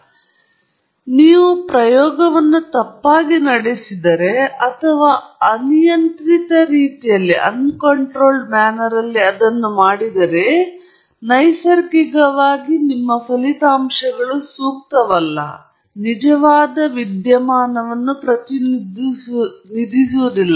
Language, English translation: Kannada, So, if you run the experiment incorrectly or you have done it in an uncontrolled way, then, naturally, your results will not be appropriate, will not represent the actual phenomenon right